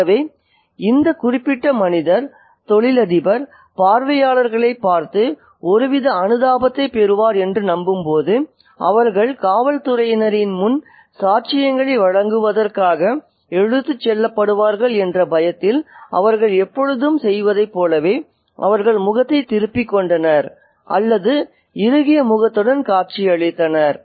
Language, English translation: Tamil, So, when this particular, when this particular man, the businessman looks at the onlookers and hopes to get some kind of sympathy, they turned their face away or looked stone faced as they often do for fear of being dragged into giving evidence before the police